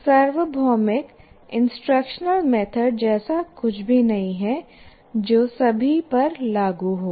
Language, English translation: Hindi, So there is nothing like a universal instructional method that is applicable to all